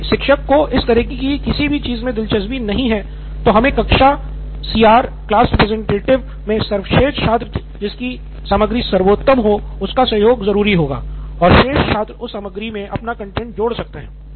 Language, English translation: Hindi, If teacher is not interested in something like this, then we will have to come up with the class CR or the best student in the class or students can come up with a choice who has the best content of the all